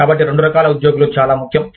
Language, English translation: Telugu, So, both kinds of employees, are very important